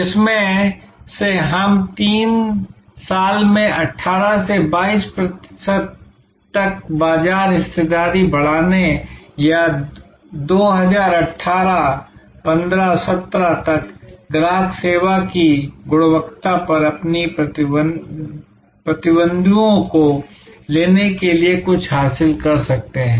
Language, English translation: Hindi, Out of which we can then derive something like increase market share from 18 to 22 percent in 3 years or over take our rivals on quality of customer service by 2018, 15, 17 whatever